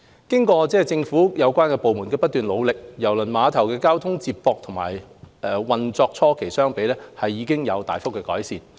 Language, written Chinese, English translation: Cantonese, 經過政府有關部門的不斷努力，郵輪碼頭的交通接駁與運作初期相比，已有大幅改善。, With the continuous efforts of relevant Government departments the transport connectivity of KTCT has greatly improved compared with the early days of its commissioning